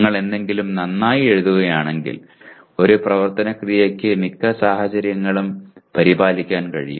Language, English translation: Malayalam, If you write something well, one action verb can take care of most of the situations